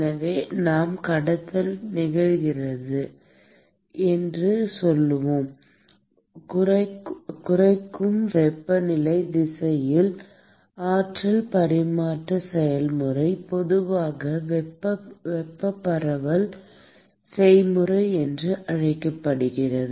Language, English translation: Tamil, So, we said that: the conduction occurs through the the process of energy transfer in the decreasing temperature direction is typically what is called as the thermal diffusion process